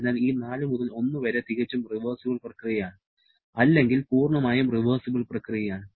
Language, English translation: Malayalam, Therefore, this 4 to 1 is a perfectly reversible process or totally reversible process